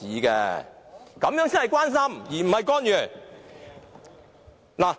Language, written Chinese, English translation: Cantonese, 這樣才是關心，而非干預。, Then this is genuine care not interference